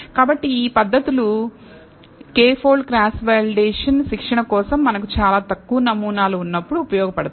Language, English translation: Telugu, So, these methods k fold cross validation is useful when we have very few samples for training